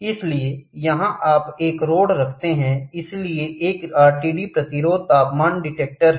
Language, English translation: Hindi, So, here you keep a rod, so there is an RTD resistance temperature detector